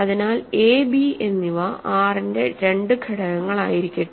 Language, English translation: Malayalam, So, we say that so, let a and b be two elements of R ok